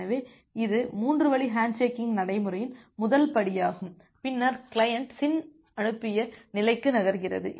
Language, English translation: Tamil, So, that is the first step of the 3 way handshaking procedure and then the client moves to the SYN sent state